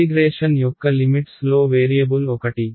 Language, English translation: Telugu, One of the limits of integration is a variable right